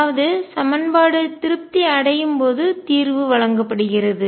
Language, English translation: Tamil, So, solution is given when equation satisfied